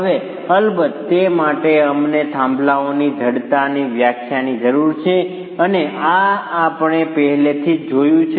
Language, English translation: Gujarati, Now for that, of course, we require the definition of the stiffness of a peer and this is something we've already seen